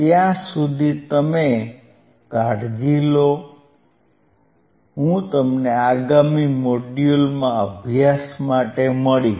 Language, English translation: Gujarati, Till then, you take care, I will see in next module bye